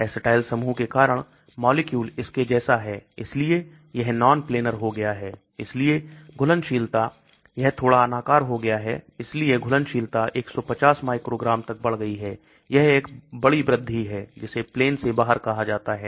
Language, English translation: Hindi, Because of the acetyl groups the molecule is like this so it becomes non planar so solubility so solubility has increased to 150 microgram, it is a big increase that is called out of plane